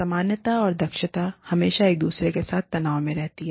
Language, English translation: Hindi, Normative and efficiency are, there always in tension with each other